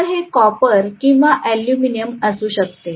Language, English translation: Marathi, So they can be made up of a either copper or aluminum, so this may be copper or aluminum